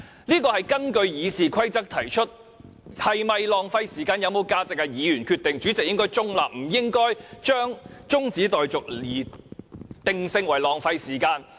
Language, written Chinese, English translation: Cantonese, 這項議案是根據《議事規則》提出，是否浪費時間、有沒有價值由議員決定，主席應該中立，不應該將中止待續議案定性為浪費時間。, This motion is proposed in accordance with the Rules of Procedure . The decision on whether it is a waste of time or whether it has any value should rest with Members . The President should be neutral and should not brand the motion on adjournment as a waste of time